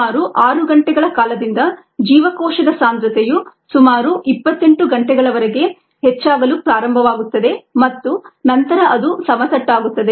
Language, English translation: Kannada, around six hours the cell concentration starts to increase till about twenty, eight hours and then it goes flat